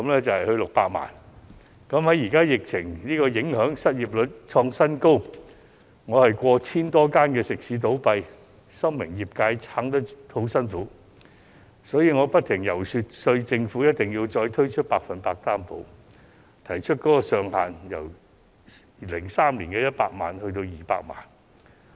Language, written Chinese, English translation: Cantonese, 在目前疫情影響下，失業率創新高，我眼看過千間食肆倒閉，深明業界難以支撐，所以不停遊說政府再次推出"百分百擔保"，並建議把上限由2003年的100萬元調高至200萬元。, Noting the record - high unemployment rate and the closure of over 1 000 eateries amid the current epidemic I am well aware that the catering industry is in grave peril . That is why I kept lobbying for the reintroduction of the 100 % Loan Guarantee and proposed to increase the maximum loan amount from 1 million in 2003 to 2 million . On the part of the Government it also knew that the trade could not survive without its support